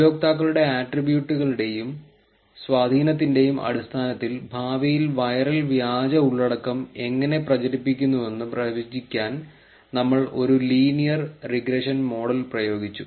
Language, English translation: Malayalam, We applied linear regression model to predict how viral fake content in future based on attributes and impact of users is currently propagating the content